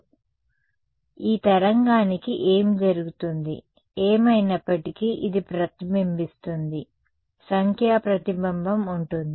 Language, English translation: Telugu, So, what happens to this wave, anyway this reflected there will be a numerical reflection right